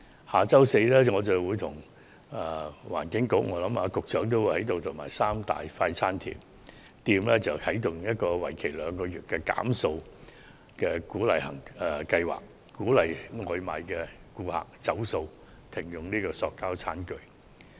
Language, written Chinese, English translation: Cantonese, 下周四我將聯同環境局，相信也包括局長，與三大快餐店一起啟動一個為期兩個月的減塑計劃，鼓勵外賣顧客"走塑"，停用塑膠餐具。, I will together with the Environment Bureau including the Secretary I think and the three major fast food chains launch a two - month campaign next Thursday to promote plastic - free takeaway so as to encourage members of the public to go plastic - and - disposable - free for takeaway orders and stop using plastic tableware